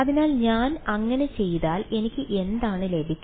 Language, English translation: Malayalam, So, if I do that what do I get is